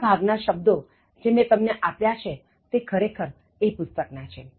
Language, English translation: Gujarati, Most of the word choices which I have given or actually from this book